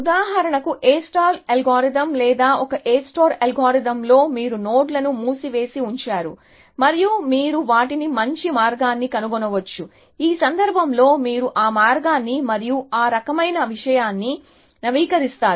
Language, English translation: Telugu, star algorithm or in A star algorithm, you keep the nodes in the closed and you may find a better path them in which case, you update that path and that kind of a thing